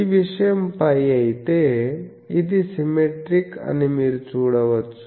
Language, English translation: Telugu, Then this point is pi, you see it is symmetric